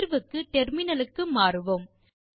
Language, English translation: Tamil, Switch to the terminal for solution